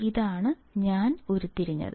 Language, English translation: Malayalam, This is what I have derived